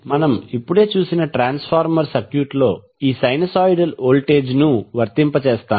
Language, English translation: Telugu, We will apply this sinusoidal voltage in the transformer circuit which we just saw